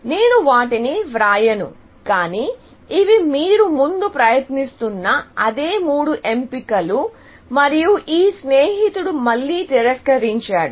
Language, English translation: Telugu, I will not write them, but these are the same three options; what you are trying, and your friend again, says, no, essentially